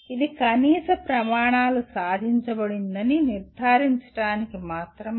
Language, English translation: Telugu, This is only to ensure that minimum standards are attained